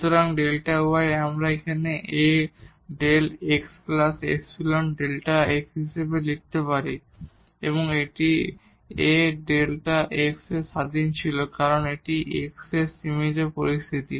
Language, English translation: Bengali, So, the delta y we can write down as A into delta x plus epsilon delta x and this A was independent of delta x because this was the limiting situation here of A